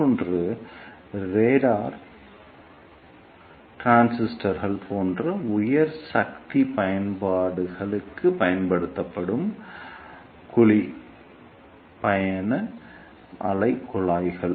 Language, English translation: Tamil, And the another one is coupled cavity travelling wave tubes which are used for high power applications such as radar transmitters